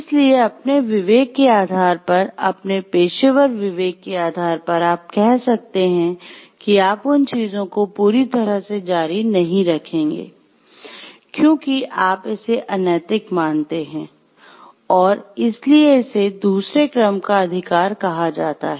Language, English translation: Hindi, So, based on your moral conscience based on your professional conscience you can say you will not be continuing to do those things solely, because you view it to be unethical and that is why it is called a second order right